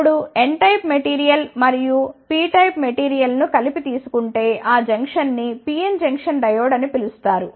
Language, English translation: Telugu, Now, if the n type of material and p type of material are brought together, then they form a junction that junction is called as the PN Junction Diode